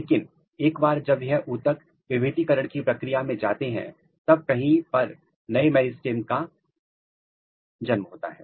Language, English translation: Hindi, But, once these tissues they are entering in the region of differentiation there is a new meristem which is getting generated somewhere here